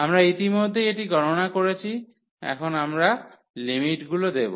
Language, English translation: Bengali, We have already evaluated this now we will put the limits